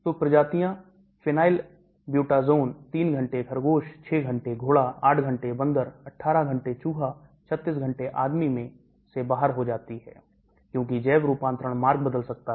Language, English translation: Hindi, So species, phenylbutazone eliminated 3 hours rabbit, 6 hours horse, 8 hours monkey, 18 hours mouse, 36 hours man, because the bio transfer route can change